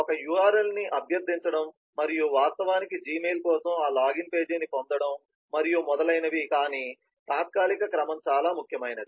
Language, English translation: Telugu, or in terms of requesting an url and actually getting that login page for the gmail and so on, but the temporal ordering is most important